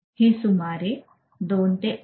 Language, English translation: Marathi, This will take anywhere between about 2 to 2